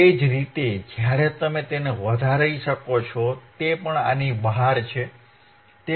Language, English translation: Gujarati, Same way, when you increase it, it is still even it is outside this, even it is greater than 1